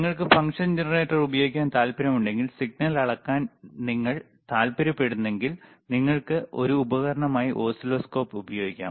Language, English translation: Malayalam, The point is, if you want to use function generator, and you want to measure the signal, you can use oscilloscope as an equipment, all right